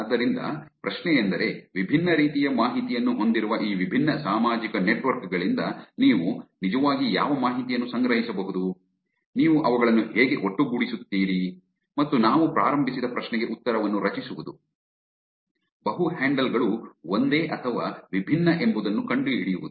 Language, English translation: Kannada, So the question is what information can you actually collect from these different social networks which have different types of information, how do you put them together and create, answer the question that we started off with, finding out whether multiple handles are same or different